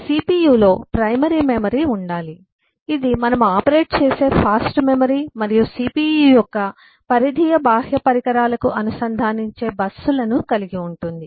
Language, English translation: Telugu, the cpu must have eh primary memory, the fast memory through which we operate, and eh it has busses that will connect to the peripheral external devices of the cpu